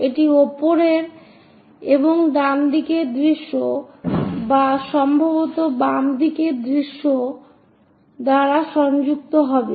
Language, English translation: Bengali, That will be connected by top and right side views or perhaps left side views